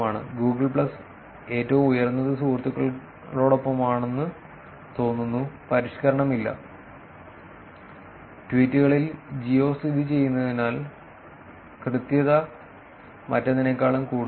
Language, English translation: Malayalam, Google plus, the highest seems to be with friend, no refinement; and in tweets, it is since the geo located the accuracy is also being more than anything else